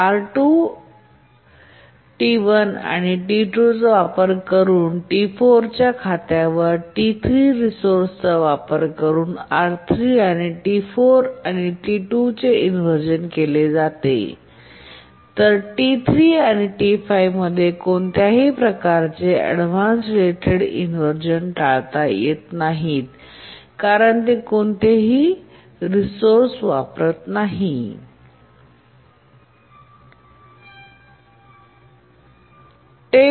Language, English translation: Marathi, On account of T6 using resource R3, T4 and T2 undergo inversion, T3 and T6, T3 and T5 don't go inverse, avoidance related inversion because they don't use any resource